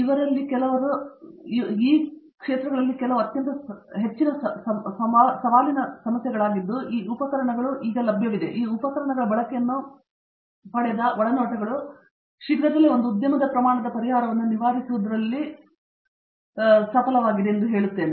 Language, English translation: Kannada, These are extremely challenging problems and these have been enabled by like I said these tools that have now become available and the insights that have been gained by the use of these tools will soon see the light of day in an industry scale deployment of a solution